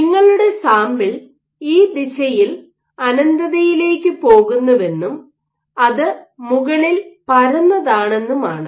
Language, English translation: Malayalam, It treats the sample when your sample is assumes it goes to infinity in this direction and it is flat at the top